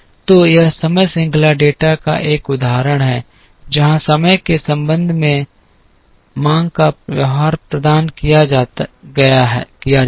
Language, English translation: Hindi, So, this is an example of time series data, where the behaviour of the demand with respect to time is provided